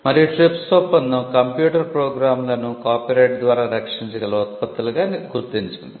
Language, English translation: Telugu, And the TRIPS agreement also recognised computer programs as products that can be protected by copyright